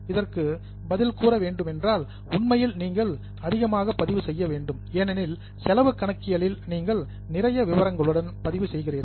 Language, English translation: Tamil, Actually the answer is you do to need to record more because in cost accounting you are recording with lot of more details